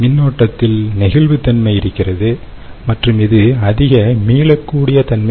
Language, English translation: Tamil, there is a flexibility in current and its high reversibility